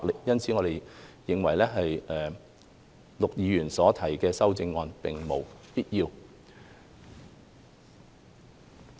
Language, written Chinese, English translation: Cantonese, 因此，我們認為陸議員所提的擬議修正案並無必要。, Therefore we do not think that this proposed amendment of Mr LUK is necessary